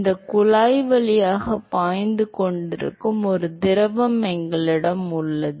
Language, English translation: Tamil, And we have a fluid which is flowing through this tube